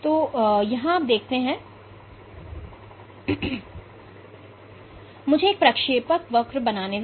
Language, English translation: Hindi, So, let me draw a trajectory